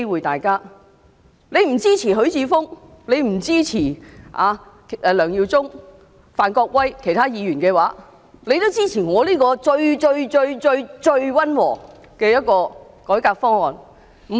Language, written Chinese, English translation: Cantonese, 即使不支持許智峯議員、梁耀忠議員、范國威議員和其他議員的修正案，也該支持由我提出的這個最溫和的改革方案。, Even if you do not support the amendments proposed by Mr HUI Chi - fung Mr LEUNG Yiu - chung Mr Gary FAN and other Members you should support my reform proposal which is the most moderate